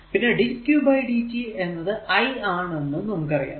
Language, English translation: Malayalam, So, in general we can write that dq is equal to i dt